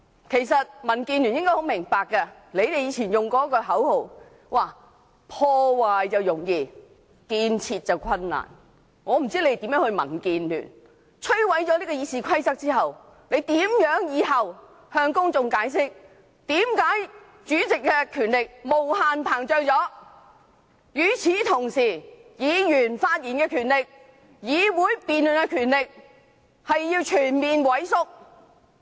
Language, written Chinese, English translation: Cantonese, 其實民建聯議員應很明白，他們以前常用此口號："破壞容易建設難"，我不知摧毀《議事規則》後，民建聯議員如何向公眾解釋，為何主席的權力無限膨脹，而議員發言的權力、議會辯論的權力卻全面萎縮？, In fact Members from the Democratic Alliance for the Betterment and Progress of Hong Kong DAB should be fully aware that it is easy to destruct but difficult to construct a slogan that they often cited in the past . After the destruction of RoP I wonder how DAB Members will explain to the public as to why the power of the President should be extended unlimitedly at the expense of fully eroding Members right to speak and right to debate in the legislature